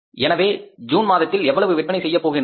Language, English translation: Tamil, How much we are going to sell in the month of June